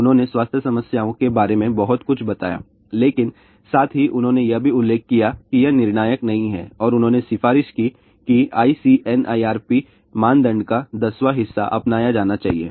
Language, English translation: Hindi, They did mention about lot of health problems, but at the same time they also mentioned it is not conclusive and they recommended that one tenth of the ICNIRP norm should be adopted